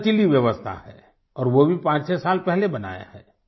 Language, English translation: Hindi, It has a very flexible system, and that too has evolved fivesix years ago